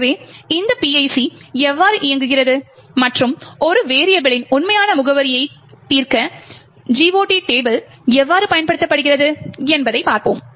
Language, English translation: Tamil, So, we will see how this PIC works and how, the GOT table is used to resolve the actual address of a variable